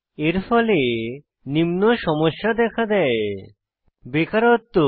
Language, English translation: Bengali, These lead to a lot of social problems like: Unemployment